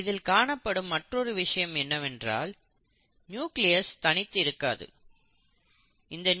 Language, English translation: Tamil, Then the other thing which is observed is that this nucleus does not exist in isolation